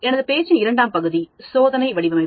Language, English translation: Tamil, The second part of my talk I said, is called Design of Experiments